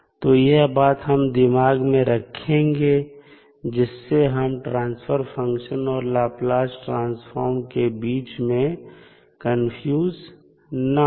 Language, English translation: Hindi, So, this we have to keep in mind, so that we are not confused with the transfer function and the Laplace transform